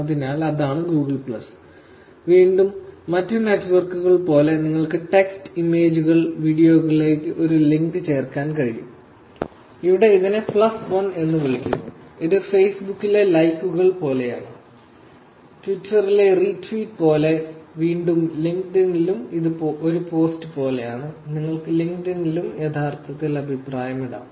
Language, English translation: Malayalam, So, that is what Google plus is, again, the same things like other networks, you can add text, images, you can add a link to the video, and here it’s called +1 this post, which is similar to likes in Facebook, similar to retweet in Twitter, and again in LinkedIn also it is ‘like’ a post and you can actually comment in LinkedIn also